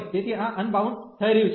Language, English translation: Gujarati, So, this is getting unbounded